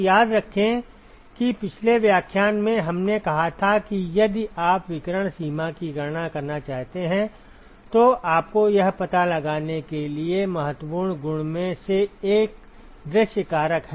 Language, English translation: Hindi, So, remember that in last lecture, we said that one of the crucial properties that you need to find out if you want to calculate the radiation extent is the view factor